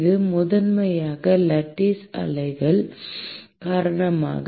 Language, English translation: Tamil, It is primarily because of lattice waves